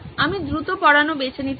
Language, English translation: Bengali, I can chose to go fast